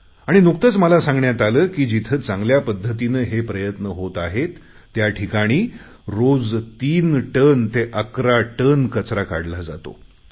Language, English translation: Marathi, I have been told a few days ago that in places where this work is being carried out properly nearly 3 to 11 tonnes of garbage are being taken out of the river every day